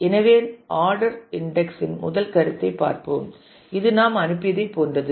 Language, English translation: Tamil, So, let us look at the first concept of ordered index which is pretty much like what we have just sent